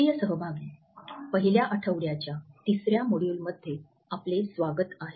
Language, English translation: Marathi, Dear participants, welcome to the third module of 1st week